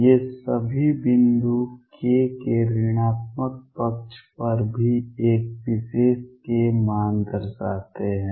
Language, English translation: Hindi, All these points show one particular k value on the negative side of k also